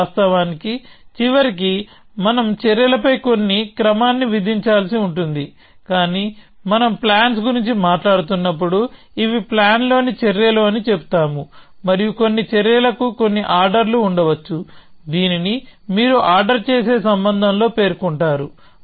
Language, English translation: Telugu, Of course, eventually we will have to impose certain order on the actions, but when we are talking about plans, we say these are the actions in the plan and some actions may have certain ordering which you will state in the ordering relation